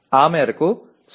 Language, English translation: Telugu, To that extent 0